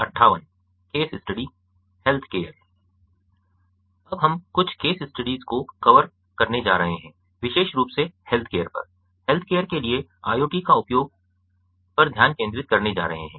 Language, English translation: Hindi, now we are going to cover some case studies particularly focusing on healthcare, so the use of iot for healthcare